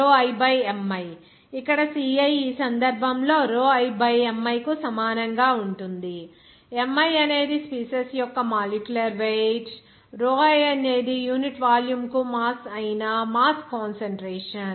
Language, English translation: Telugu, Here in this case like ci that will be equal to rho i by capital Mi, here capital Mi is just molecular weight of a species and rho i is the mass concentration that is mass per unit volume